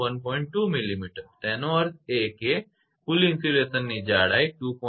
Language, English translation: Gujarati, 2 millimetre; that means, the total insulation thickness will be 2